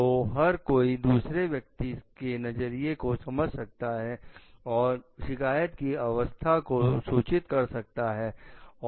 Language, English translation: Hindi, So that, each one can understand the other person s viewpoint and maybe like inform the complainants about the status